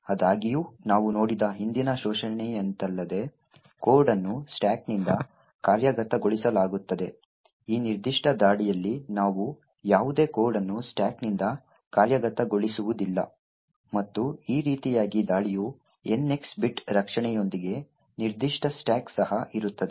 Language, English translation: Kannada, However unlike the previous exploit that we have seen where code is executed from the stack in this particular attack we do not execute any code form the stack and in this way the attack would run even with the NX bit defense that is present for that particular stack